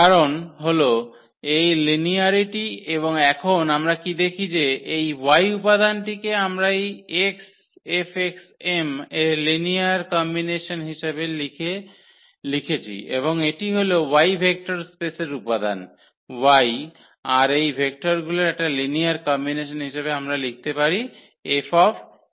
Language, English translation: Bengali, So, this is because of the linearity and now what we see that this y element we have written as a linear combination of this x F x m and this is exactly that any element y in the vector space y we can write as a linear combination of these vectors F x i’s